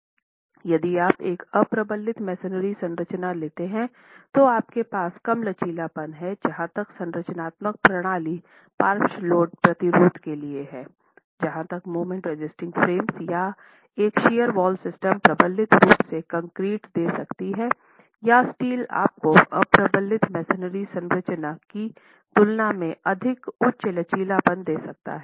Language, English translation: Hindi, If you take an unreinforced masonry structure, you are going to have low ductility available as far as the structural system is concerned for lateral load resistance, whereas a moment resisting frame or a shear wall system can give you definitely in reinforced concrete or steel can actually give you far higher ductility in comparison to an unreinforced masonry structure